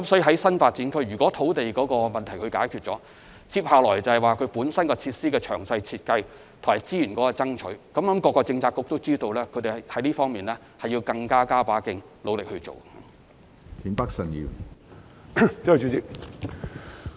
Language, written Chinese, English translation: Cantonese, 在新發展區，如能解決土地問題，其後的工作就是為設施進行詳細設計及爭取資源，我相信各政策局都知道要在這方面加把勁，努力做好這項工作。, The Government has taken note of his clear view . If land is not a problem in a NDA our next step is to work on the detailed design and funding application for the construction of facilities . I believe all Policy Bureaux know that they have to put in extra efforts to do a good job in facility provision